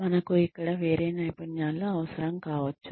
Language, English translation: Telugu, We may need a different set of skills here